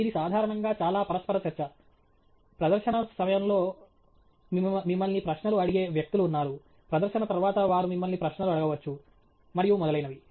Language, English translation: Telugu, It’s typically very interactive; there are people who will ask you questions during the presentation, they may ask you questions after the presentation and so on